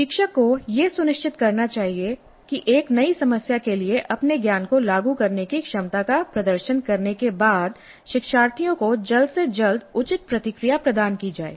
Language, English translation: Hindi, So, the instructor must ensure that proper feedback is provided to the learners as early as possible after they demonstrate the ability to apply their knowledge to a new problem